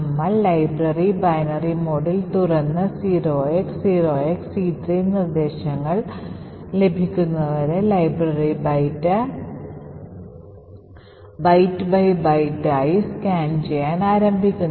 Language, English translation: Malayalam, So, we open the library in binary mode and start to scan the library byte by byte until we get c3 instructions